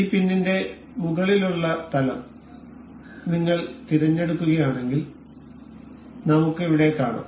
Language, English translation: Malayalam, So, if you select the top plane for this pin here we can see